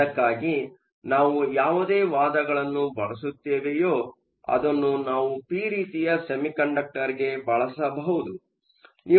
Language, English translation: Kannada, We can use the same argument if you want to make a p type semiconductor